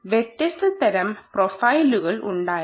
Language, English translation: Malayalam, so there were different types of profiles